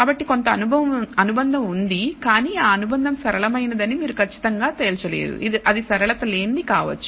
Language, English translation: Telugu, So, there is some association, but perhaps the association you cannot definitely conclude it is linear it may be non linear